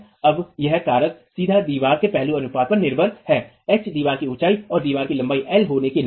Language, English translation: Hindi, Now this factor is directly dependent on the aspect ratio of the wall, H being the height of the wall and L being the length of the wall